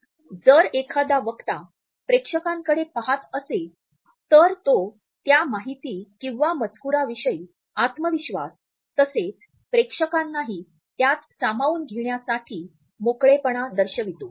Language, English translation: Marathi, If a speaker looks at the audience it suggest confidence with the content as well as an openness to share the content with the audience